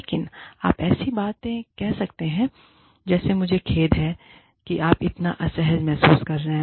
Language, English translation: Hindi, But, you can say things like, i am sorry, that you are feeling, so uncomfortable